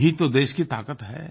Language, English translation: Hindi, This is the power of the nation